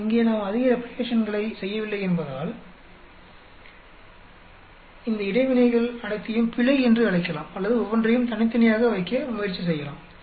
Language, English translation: Tamil, But here because we did not do much replications, either we can call all these interactions into error or we can try to put them each separately